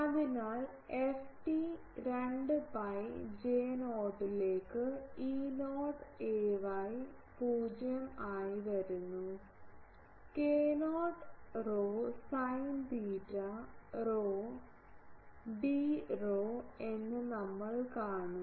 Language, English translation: Malayalam, So, f t comes out as E not a y 0 to a 2 pi J not, we will see that k not rho sin theta rho d rho